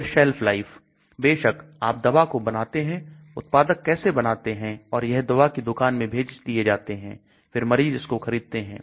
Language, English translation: Hindi, Then Shelf life, of course you make the drug, the manufacturer makes it and then it is sent to pharmacy and then the patient buys it